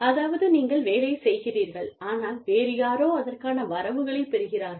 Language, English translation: Tamil, So, you do the work, but somebody else, gets the credits for it